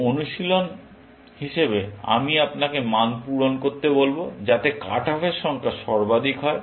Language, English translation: Bengali, As an exercise, I will ask you to fill in values, so that, the number of cut offs are maximum